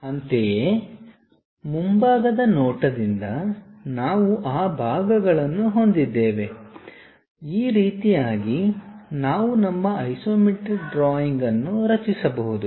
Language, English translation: Kannada, Similarly, from the front view we have those parts, from similarly front view we have these parts, in this way we can construct our isometric drawing